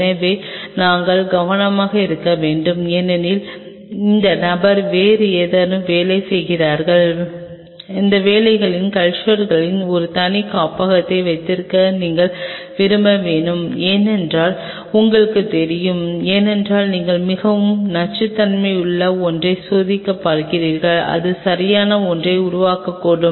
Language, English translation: Tamil, So, we have to be careful because this individual is working on something else and you have to may prefer to have a separate incubator for those kinds of cultures because you do not know because you are testing something very toxic it may make up with something right